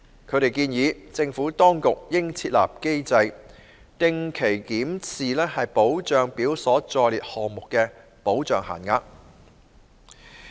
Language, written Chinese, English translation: Cantonese, 他們建議，政府當局應設立機制，定期檢視保障表所載列項目的保障限額。, They suggested that the Administration should put in place a mechanism to regularly review the benefit limits of the items listed in the benefit schedule